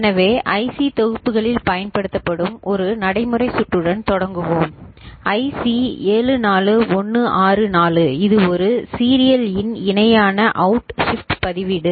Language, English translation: Tamil, So, we start with a practical circuit which is used in the IC packages IC 74164 which is a serial in parallel out shift register I mean, register ok